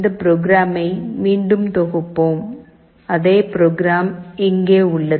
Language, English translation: Tamil, Let us again compile this program, the program that I have shown that same program is here